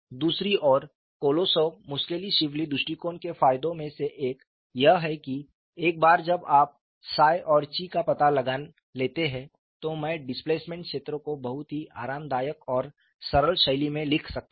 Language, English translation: Hindi, On the other hand, one of the advantages is of Kolosov Muskhelishvili approach is, once you find out psi and chi, I can write the displacement field in a very comfortable and straight forward fashion and how it is written